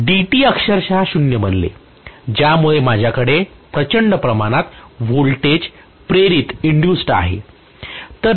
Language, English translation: Marathi, So di by dt, dt become literally 0 because of which I have huge amount of voltage induced, right